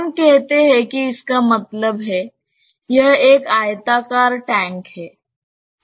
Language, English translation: Hindi, Let us say that means, it is a rectangular tank